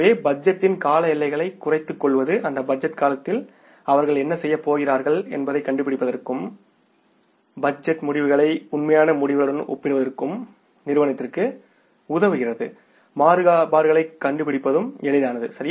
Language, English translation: Tamil, So, shorter the time period, horizon of the budget means is the better for the firm to find out what they are going to do in that budget period and comparing the budgeted results with the actual results, finding out the variances becomes easy